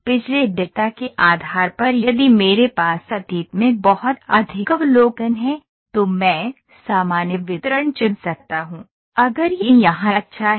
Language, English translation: Hindi, Based upon the past data if I have a lot of observations in the past, I can pick normal distribution